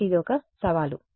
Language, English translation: Telugu, So, this is a challenge